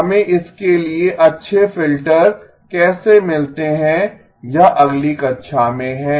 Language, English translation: Hindi, how do we get good filters for this is in the next class